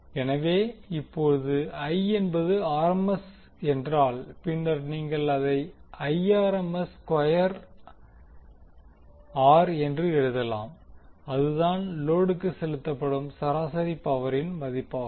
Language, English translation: Tamil, So, if I is RMS then you can write I RMS square into R that is the value of average power delivered to the load